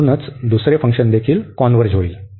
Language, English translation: Marathi, So, this will also converge